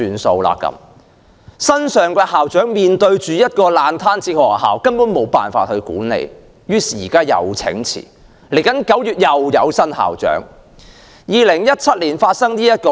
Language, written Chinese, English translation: Cantonese, 新上任的校長面對一間爛攤子學校，根本無法管理，於是請辭，另一位新校長9月份便會上任。, The school principal who recently assumed office found that the school was a mess and it was impossible to manage it so he resigned and another new school principal will assume office in September